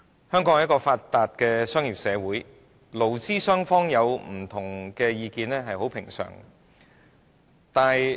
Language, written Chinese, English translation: Cantonese, 香港是一個發達的商業社會，勞資雙方有不同意見，是很平常的。, Hong Kong is a well - developed commercial society and it is normal for employers and employees to hold different views